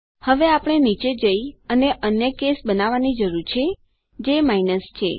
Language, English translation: Gujarati, Now we need to go down and create another case, which is minus